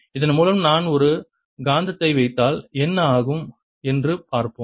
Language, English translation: Tamil, let us now see what happens if i put a magnet through this